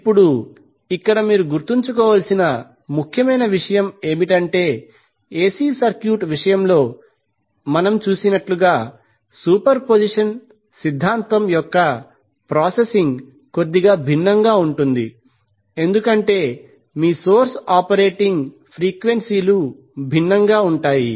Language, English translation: Telugu, Now, here the important thing which you have to keep in mind is that the processing of the superposition theorem is little bit different as we did in case of AC circuit because your source operating frequencies can be different